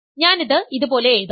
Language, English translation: Malayalam, So, this let me show it like this